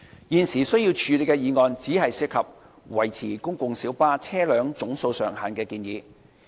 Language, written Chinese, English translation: Cantonese, 現時須處理的議案只涉及維持公共小巴車輛總數上限的建議。, The motion that has to be handled right now only deals with the recommendation of maintaining the cap on the number of PLBs